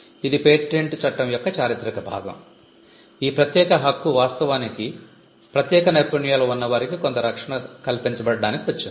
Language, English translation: Telugu, So, this is exclusive this is the historical part of patent law, this exclusive privilege actually came in a way in which some protection was granted to people with special skills